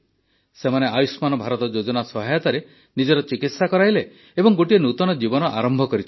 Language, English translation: Odia, They got their treatment done with the help of Ayushman Bharat scheme and have started a new life